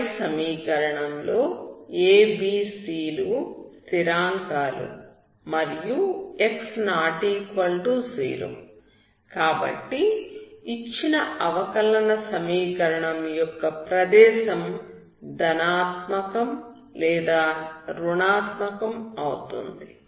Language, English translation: Telugu, In the above equation a ,b ,c are the constants and x ≠0 that is the domain in which the differential equation is given is either positive or negative